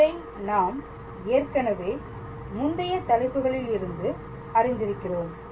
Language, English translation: Tamil, So, this is we know already from our previous topics